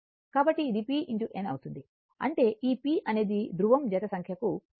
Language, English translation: Telugu, So, this will be p into n; that means, p is equal to this p is number of pole pair